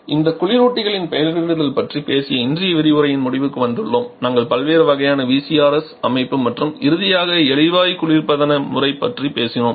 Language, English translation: Tamil, So, that takes us to the end of today's discussion where we have talked about the naming convention of the refrigerants we have talked about different kinds of VCRS system and finally the gas refrigeration system